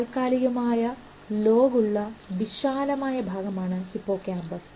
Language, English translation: Malayalam, Hippocampus is a deep area within the temporal lobe